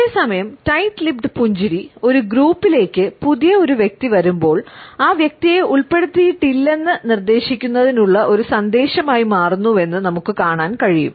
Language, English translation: Malayalam, At the same time we find that the tight lipped smile also becomes a message to a new entrant in the group to suggest that the person is not included